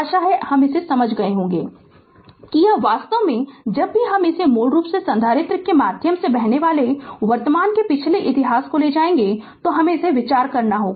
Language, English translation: Hindi, Hope this you have understood this actually whenever you take this one that is basically will take this past history of the current flowing through the capacitor right that is the idea